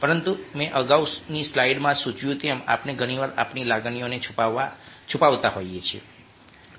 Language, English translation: Gujarati, but, as i indicated in slide earlier, we tend to disguise our emotions very often